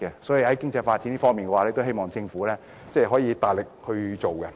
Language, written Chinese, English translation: Cantonese, 所以，在經濟發展方面，希望政府能加強推動。, Hence I hope that the Government can put in more efforts in promoting economic development